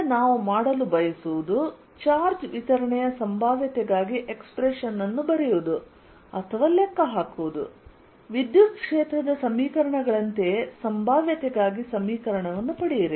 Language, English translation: Kannada, next, what we want to do is calculate or right down expression for potential for a charge distribution obtained, an equation, just like the electric field equations for the potential